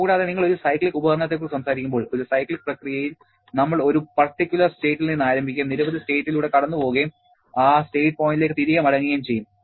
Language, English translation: Malayalam, Also, when you are talking about a cyclic device, in a cyclic process we start from one particular state and going through several states come back to that state point